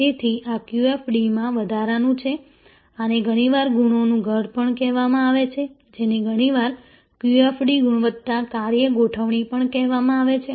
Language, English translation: Gujarati, So, these are additions to QFD, this is also often called is house of qualities also often called QFD, Quality Function Deployment